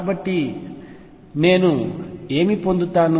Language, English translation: Telugu, So, what do I get